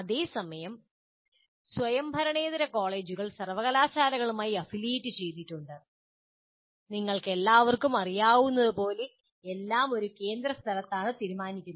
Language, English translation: Malayalam, Whereas non autonomous colleges are affiliated to universities and as you all know, everything is decided by the in a central place